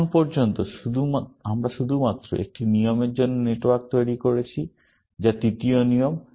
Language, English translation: Bengali, So far, we have drawn the network for only one rule, which is the third rule